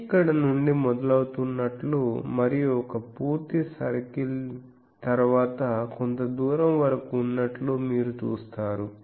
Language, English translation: Telugu, You see that it is starting from here going and one full circle then up to some distance